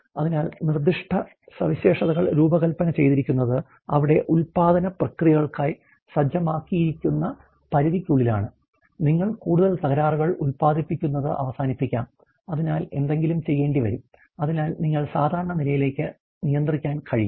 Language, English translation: Malayalam, So, happens of the specifications are sort of a specifications are given by the design is within the limits that are being setting for the production process of there, you may end of the producing more defectives in that way, so will have to do something, so that you can control back to normal